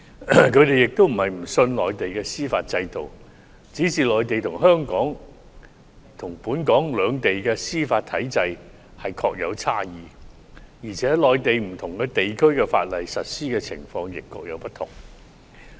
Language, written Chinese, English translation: Cantonese, 他們並非不信任內地的司法制度，只是內地與本港的司法體制的確存在差異，而且內地不同地區實施法例的情況亦各有不同。, It is not because they do not trust the judicial system of the Mainland but differences do exist between the judicial systems of the Mainland and Hong Kong and the enforcement of law in different parts of the Mainland also varies